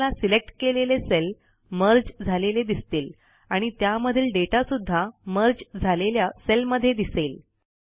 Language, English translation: Marathi, You see that the selected cells get merged into one and the contents are also within the same merged cell